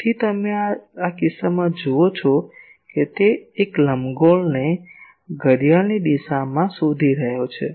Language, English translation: Gujarati, So, you see in this case it is tracing an ellipse in a clockwise direction